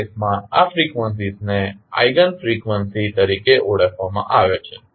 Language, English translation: Gujarati, In that case, these frequencies are called as Eigen frequencies